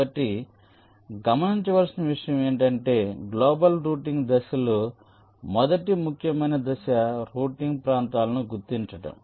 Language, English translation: Telugu, ok, so the point to note is that during the global routing phase the first important step is to identify the routing regions